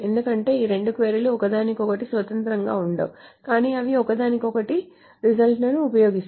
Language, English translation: Telugu, Because queries are not independent of each other but they use the results of each other